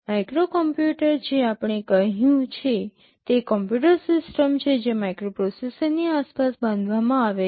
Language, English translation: Gujarati, A microcomputer we have said, it is a computer system built around a microprocessor